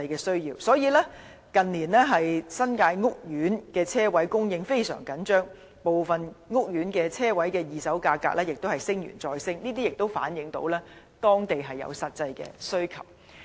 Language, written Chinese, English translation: Cantonese, 所以，近年新界屋苑的車位供應非常緊張，部分屋苑的車位二手價格亦不斷上升，反映出地區的實際需求。, Thus there has been a tight supply of parking spaces in the housing estates of the New Territories in recent years . The price of second - hand parking space in some housing estates has been rising reflecting the actual needs of the people